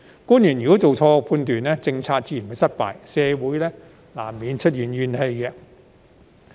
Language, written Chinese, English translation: Cantonese, 假如官員做錯判斷，政策自然會失敗，社會難免出現怨氣。, The policies will be doomed to failure if officials made a wrong judgment which will inevitably give rise to grievances